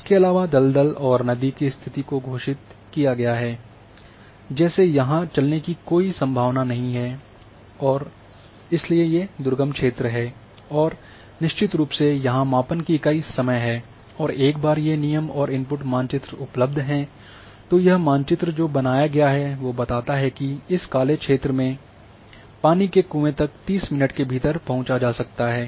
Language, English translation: Hindi, And also the condition have been declared a along the swamp and river no walking is possible so these are inaccessible area and of course, unit of measurement here is time once these are the constraints and input map is available then this is the map which has been created which tells that within this the black area this is within 30 minutes the water well can be reached